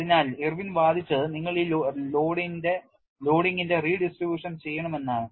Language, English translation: Malayalam, So, what Irwin argued was you have to have redistribution of this loading